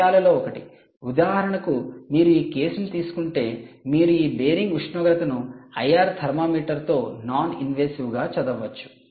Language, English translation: Telugu, one of the things: for example, if you take this case, you could have actually read this bearing temperature non invasively with an i r thermometer, right